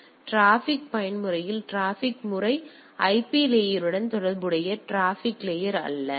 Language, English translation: Tamil, So, in case of transport mode the transport this is this transport mode is related to the IP layer not the transport layer per se